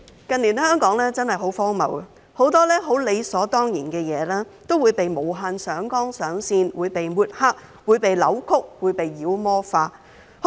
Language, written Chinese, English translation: Cantonese, 近年香港真的很荒謬，很多十分理所當然的事都會被無限上綱上線、被抹黑、被扭曲和被妖魔化。, In recent years Hong Kong has been very ridiculous . Many things that should naturally be done have been escalated to the political plane besmirched distorted and demonized